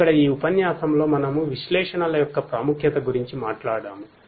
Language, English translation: Telugu, Here in this lecture we talked about the importance of analytics